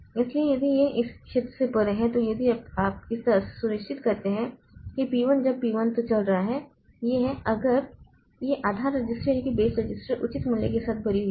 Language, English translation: Hindi, So, if this is beyond this region, so if you so that way it ensured that P1 when P1 is running so this is if this base register is loaded with proper value so it will access the portion of the memory which is available for P1